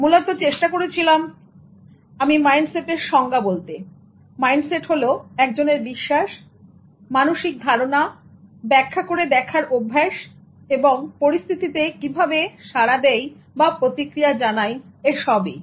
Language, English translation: Bengali, Basically I tried to focus on the definition that mindset is one's basic belief, mental attitude, habitual way of interpreting and responding to situations